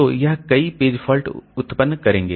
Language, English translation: Hindi, So, these many page faults will be generated